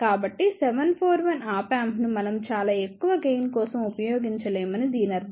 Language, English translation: Telugu, So, does that mean that we cannot use 741 Op Amp for a very high gain